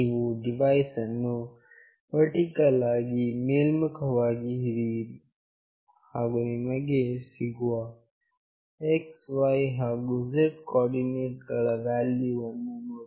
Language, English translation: Kannada, You hold the device vertically up, and see what values of x, y, z coordinate you are getting